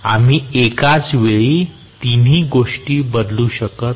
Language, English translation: Marathi, We do not to vary all 3 things at a time